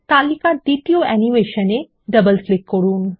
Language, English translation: Bengali, Double click on the second animation in the list